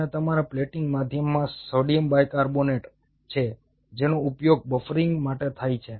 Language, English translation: Gujarati, and your plating medium has sodium bicarbonate, which is used for the buffering